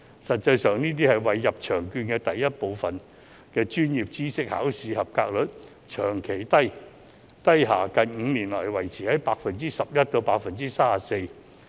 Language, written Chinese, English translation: Cantonese, 實際上，作為"入場券"第一部分專業知識考試及格率長期低下，近5年來維持在 11% 至 34%。, As a matter of fact the pass rate of Part I of the Examination in Professional Knowledge as an admission ticket has remained very low ranging from 11 % to 34 % in the past five years